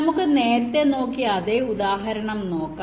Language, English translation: Malayalam, ok, lets look at the same example